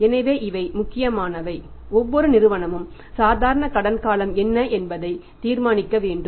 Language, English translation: Tamil, So, these are important and every firm has to decide that what will be there normal credit period